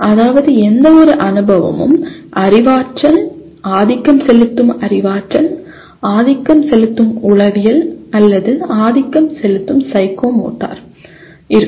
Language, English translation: Tamil, That means dominantly any experience will be either cognitive, dominantly cognitive, dominantly affective, or psychomotor